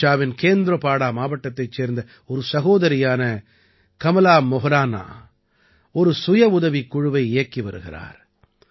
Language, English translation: Tamil, Kamala Moharana, a sister from Kendrapada district of Odisha, runs a selfhelp group